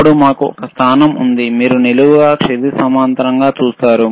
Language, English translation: Telugu, Then we have a position, you see vertical, horizontal